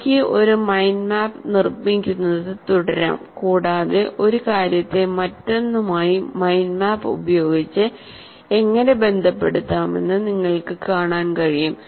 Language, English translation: Malayalam, And I can keep on building a mind map and you can see how one thing is related to the other, can be related to the other